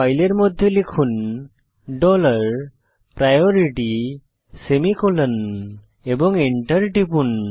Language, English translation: Bengali, Type the following in the file dollar priority semicolon and press Enter